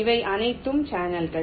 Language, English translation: Tamil, these are all channels